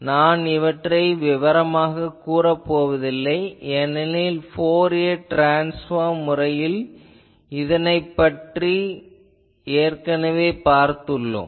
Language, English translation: Tamil, So, I am not gone into details because by the Fourier transform method also we have seen this pattern